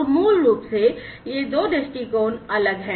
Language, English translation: Hindi, So, basically these two perspectives are different